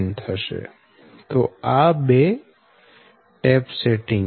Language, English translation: Gujarati, so this two are tap settings